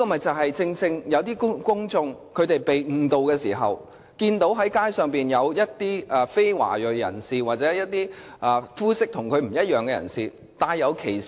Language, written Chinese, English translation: Cantonese, 這正是由於公眾被誤導，才會以歧視的目光對待街上的非華裔人士或膚色不同的人。, The discriminatory treatment to non - ethnic Chinese on the street is precisely caused by misconception that people have against them